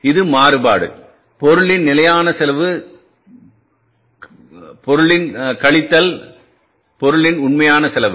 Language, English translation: Tamil, This is the variance, standard cost of material minus actual cost of the material